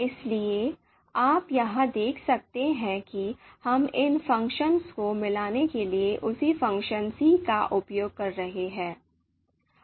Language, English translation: Hindi, So you can see here again we are using the same function c and to combine these values